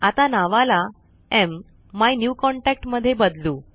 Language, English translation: Marathi, Lets change the name to MMyNewContact